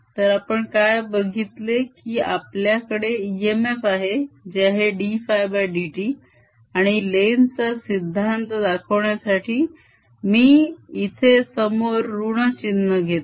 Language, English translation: Marathi, so what we have seen is that we have e m f, which is equal to d phi, d t, and to show the lenz's law, i put a minus sign in front